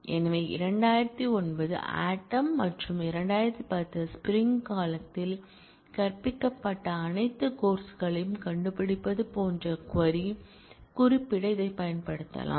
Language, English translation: Tamil, So, it can be used to specify the query like find all courses taught both in fall 2009 and spring 2010